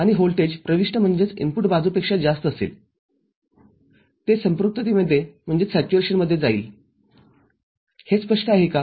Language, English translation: Marathi, Any voltage higher than that in the input side, it will move into saturation, is it clear